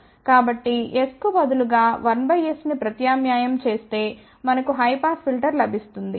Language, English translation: Telugu, So, if we substitute s equal to 1 by s we will get a high pass filter